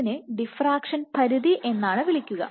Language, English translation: Malayalam, So, what we saw, Which will call is as diffraction limit